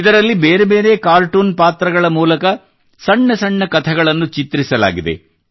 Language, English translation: Kannada, In this, short stories have been prepared through different cartoon characters